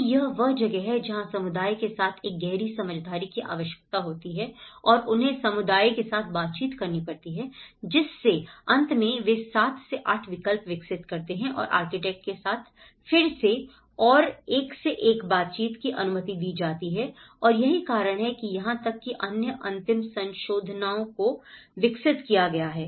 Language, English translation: Hindi, So, that is where a deeper engagement is required with the community and they have to actually interact with the community and finally, they developed over 7 to 8 alternatives and again and one to one interaction with the architects has been allowed and that is why even the other further final modifications have been developed